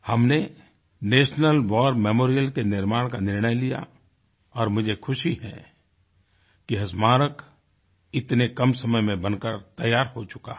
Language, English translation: Hindi, We decided to erect the National War Memorial and I am contented to see it attaining completion in so little a time